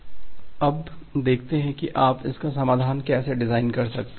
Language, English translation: Hindi, Now let us see that how you can designed it is solution